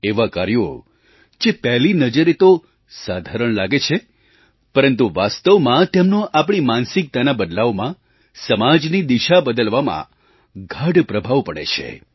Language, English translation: Gujarati, These works may seem small but have a very deep impact in changing our thinking and in giving a new direction to the society